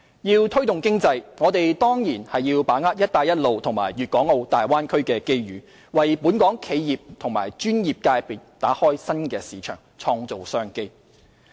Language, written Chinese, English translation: Cantonese, 要推動經濟，我們當然要把握"一帶一路"和粵港澳大灣區的機遇，為本港企業及專業界別打開新市場，創造商機。, To promote economic growth we naturally have to capitalize on the opportunities arising from the Belt and Road Initiative and Guangdong - Hong Kong - Macao Bay Area to open up new markets and create business opportunities for enterprises and professional sectors of Hong Kong